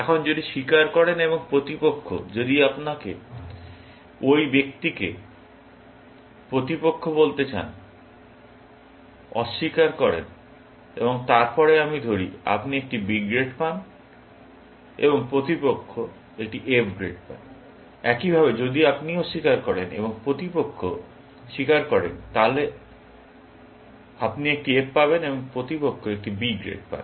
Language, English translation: Bengali, Now, if you confess, and the opponent, if you want to call the person, opponent; denies, and then let us say, you get a B grade, and the opponent gets an F grade, likewise, if you deny, and the opponent confesses, then you get an F, and the opponent gets a B grade